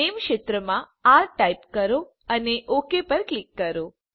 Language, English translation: Gujarati, In the name field, type r and click on OK